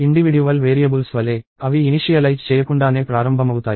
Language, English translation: Telugu, Just like individual variables, they start out to uninitialized